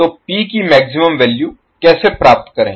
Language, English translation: Hindi, So, how to get the value of maximum P